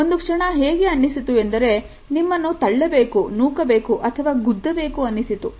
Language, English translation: Kannada, I had a moment where I was kind of wanting to push you or shove you or punch you or grab you